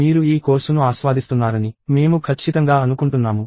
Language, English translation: Telugu, I am sure that, you are enjoying this course